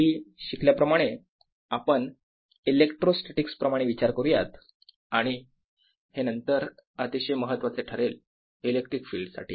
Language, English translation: Marathi, as we learnt earlier, we also like to think in electrostatics and this becomes very important later in terms of electric field